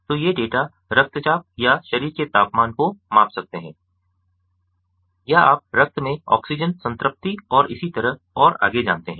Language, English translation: Hindi, so these data could measure blood pressure or body temperature or, you know, oxygen saturation in the blood and so on and so forth